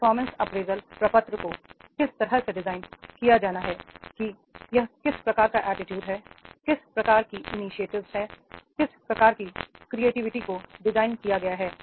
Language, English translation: Hindi, The performance appraisal form has to be designed in such a way that is the what type of the attitude, what type of initiative and what type of the creativity has been designed